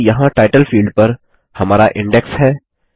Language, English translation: Hindi, So there is our index on the title field